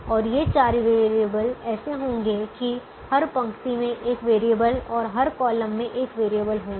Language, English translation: Hindi, only four variables will take one and these four variables will be such that every row has one variable and every column has one variable